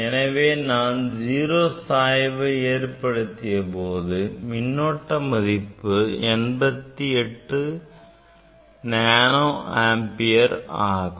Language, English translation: Tamil, 0 voltage, I have applied 0 bias and this current is 88 nano ampere